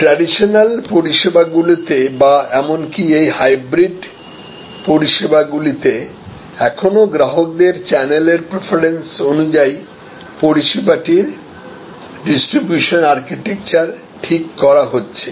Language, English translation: Bengali, So, in the traditional services or even in these hybrid services still recently channel preferences of customers determined the distribution architecture of the service